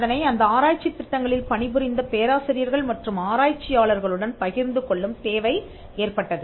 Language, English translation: Tamil, It was required to share it with the professors and the researchers who worked on those research projects